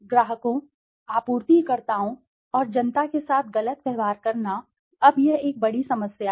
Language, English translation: Hindi, Treating clients, suppliers and the public unfairly, now this is a big problem